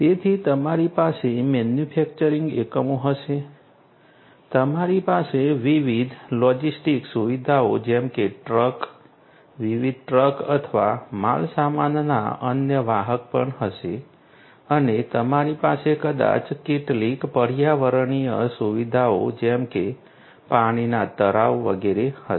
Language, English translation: Gujarati, So, you are going to have manufacturing units, you are also going to have different logistic facilities such as trucks, different trucks or the different other carriers of goods and you could have maybe some ecological facilities such as water pond etcetera